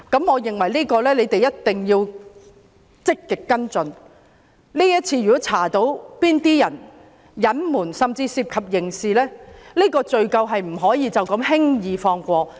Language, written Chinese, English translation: Cantonese, 我認為政府必須積極跟進，如果調查到有人隱瞞甚至涉及刑事責任，罪責不能輕易放過。, In my opinion the Government must follow up proactively and pursue responsibility if the investigation reveals concealment or involves criminal liability